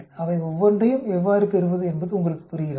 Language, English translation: Tamil, Do you understand how to get this each one of them